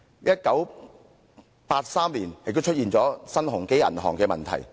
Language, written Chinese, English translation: Cantonese, 1983年，新鴻基銀行也出現了問題。, Between 1982 and 1983 the Hang Lung Bank suffered a run and in 1983 the Sun Hung Kai Bank too was in trouble